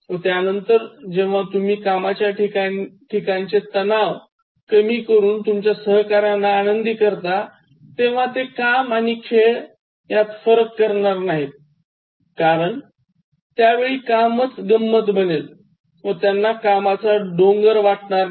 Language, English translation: Marathi, And then, when you make your colleagues enjoy their work by making their environment relaxed, they will not distinguish between work and play, because work will be so much fun and then they will not find the tedium of work